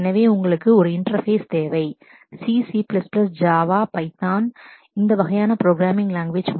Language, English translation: Tamil, So, you need possibly an interface which is in terms of C, C++, Java, Python, this kind of programming language